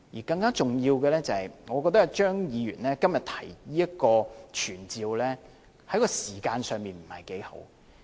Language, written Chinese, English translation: Cantonese, 更重要的是，我覺得張議員今天提出這項傳召議案，在時間上不是太好。, More importantly I think the timing of moving this motion by Dr CHEUNG today is not proper